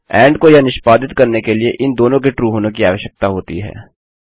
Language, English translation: Hindi, and requires both of these to be true for this to be executed